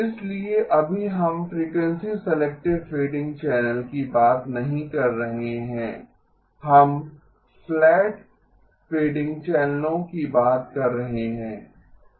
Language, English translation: Hindi, So right now we are not talking about frequency selective fading channel, we are talking about flat fading channels